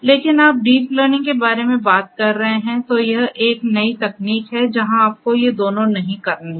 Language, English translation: Hindi, But you know if you are talking about deep learning, this is a newer technique where you do not have to do these two